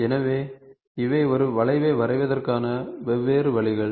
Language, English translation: Tamil, So, these are different ways of of drawing an arc